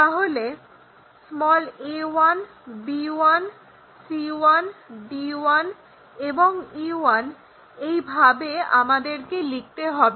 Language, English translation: Bengali, So, a 1, b 1, c 1, d 1, and e 1 this is the way we should write it